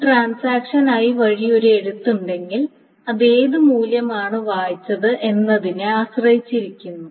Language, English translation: Malayalam, So right, if there is a right by a transaction I, it must depend on what the value has been read